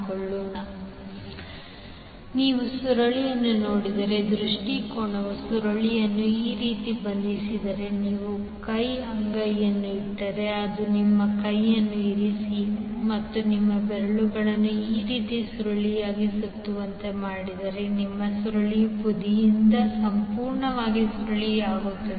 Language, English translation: Kannada, So the orientation if you see the coil are the coil is bound like this if you place a hand palm in such a way that it is completely curling the side of the coil if you place your hand and curl your finger like this the coil is bound